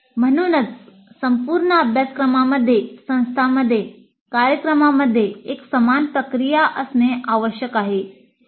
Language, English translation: Marathi, So it is necessary to have one common process across the institute, across the programs, across all the courses